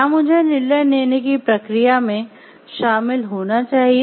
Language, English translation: Hindi, Should I be involved in that decision making process